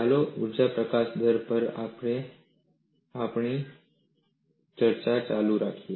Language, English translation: Gujarati, Let us continue our discussion on Energy Release Rate